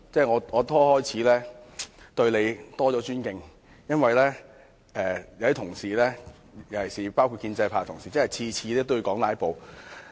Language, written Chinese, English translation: Cantonese, 我開始對你有更大尊敬，因為有些同事，包括建制派的同事每次也提到"拉布"。, I begin to have greater respect for you since some Honourable colleagues including those of the pro - establishment camp mentioned filibustering in each and every speech